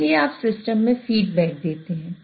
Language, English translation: Hindi, So you introduce feedback into the system